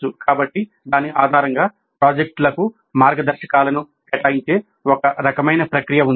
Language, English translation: Telugu, So based on that there is a kind of a process by which the guides are allocated to the projects